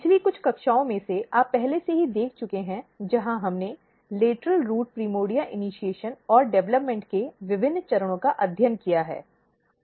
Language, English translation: Hindi, You have already seen in some in one of the previous class, where we have studied different stages of lateral root primordia initiation and development